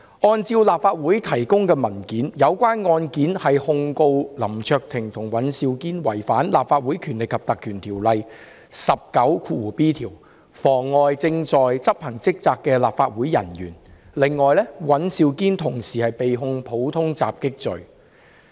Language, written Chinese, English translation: Cantonese, 根據立法會提供的文件，有關案件是控告林卓廷議員和尹兆堅議員違反《立法會條例》第 19b 條，妨礙正在執行職責的立法會人員；此外，尹兆堅議員同時被控普通襲擊罪。, According to the paper provided by the Legislative Council in the relevant case Mr LAM Cheuk - ting and Mr Andrew WAN have been prosecuted for obstructing an officer of the Legislative Council in the execution of duty contrary to section 19b of the Legislative Council Ordinance . Mr Andrew WAN has also been charged for common assault